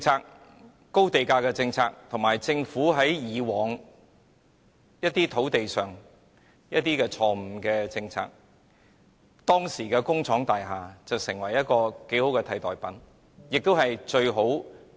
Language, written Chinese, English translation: Cantonese, 由於高地價政策和政府以往提出的一些錯誤土地政策，工廠大廈成為一個頗為不錯的替代品。, As a result of the high land price policy and some land policies wrongly pursued by the Government in the past industrial buildings have become a good alternative